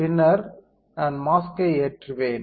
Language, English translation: Tamil, And then I will load the mask